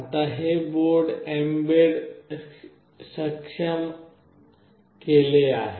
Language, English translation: Marathi, Now this particular board is mbed enabled